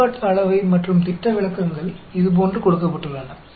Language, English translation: Tamil, Variance and standard deviations are given like this